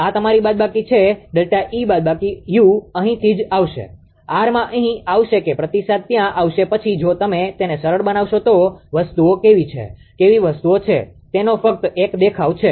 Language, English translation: Gujarati, So, this is your minus delta E minus u into into R will come here right, into R will come here that feedback will go there then if you simplify this then how things are, how things are just just have a look